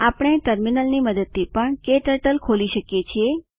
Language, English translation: Gujarati, We can also open KTurtle using terminal